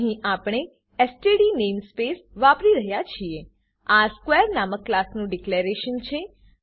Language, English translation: Gujarati, Here we are using the std namespace This is declaration for a class named square